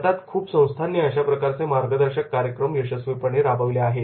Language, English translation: Marathi, In India, many organizations have successfully implemented the mentor program